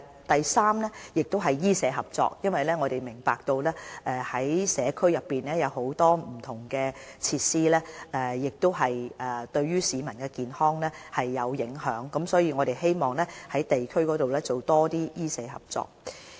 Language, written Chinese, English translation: Cantonese, 第三是醫社合作，我們明白社區內有很多不同設施會影響市民的健康，所以我們希望在地區上多進行一些醫社合作。, Third we seek to pursue medical - social collaboration . We understand that the availability of different facilities in the community will affect public health hence we wish to enhance medical - social collaboration in the district level